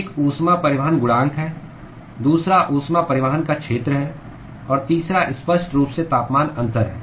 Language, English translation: Hindi, One is the heat transport coefficient; the other one is the area of heat transport; and the third one obviously is the temperature difference